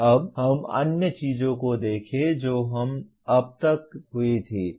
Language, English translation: Hindi, Now, let us look at other things that happened as of now